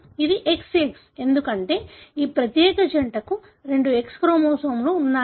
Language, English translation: Telugu, It is XX, because this particular pair has got two X chromosomes